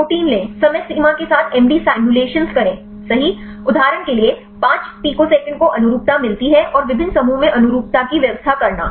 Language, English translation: Hindi, Take the protein, do the MD simulations with different time frame right for example, 5 picoseconds get conformations and like arrange the conformations in different clusters